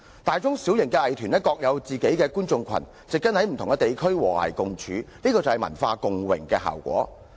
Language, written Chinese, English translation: Cantonese, 大中小型藝團各有其觀眾群，植根於不同地區和諧共處，這是文化共榮的效果。, All having their respective audiences these small medium and large arts groups established themselves in different areas and coexisted in harmony . This is cultural co - prosperity